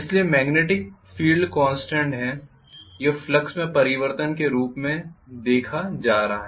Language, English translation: Hindi, So the magnetic field is constant this is going to be visualized as the change in flux